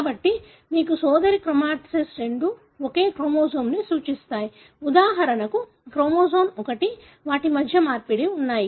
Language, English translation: Telugu, So, you have sister chromatids both representing the same chromosome, for example chromosome 1, there is an exchange between them